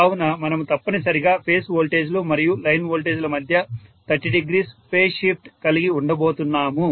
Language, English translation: Telugu, So we are going to have essentially a 30 degree phase shift between the phase voltages and line voltages